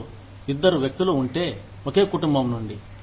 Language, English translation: Telugu, If you have two people, from the same family